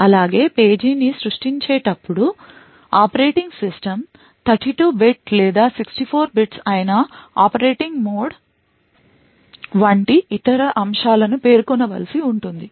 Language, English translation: Telugu, Also, while creating the page the operating system would need to specify other aspects such as the operating mode whether it is 32 bit or 64 bits